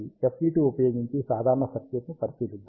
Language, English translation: Telugu, Let us consider simple circuit using FET